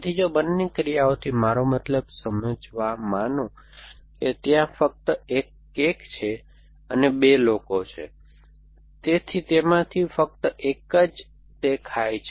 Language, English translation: Gujarati, So, if both the actions, so it have something, you have consuming I mean there only 1 cake and there are 2 people, so only one of them eat essentially